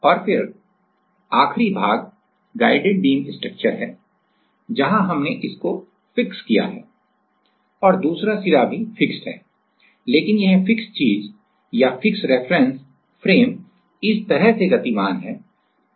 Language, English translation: Hindi, And then, the last one is that guided beam structure where, we are fixed that one in and another one is also fixed, but this fixed thing is or fixed reference frame is moving like this right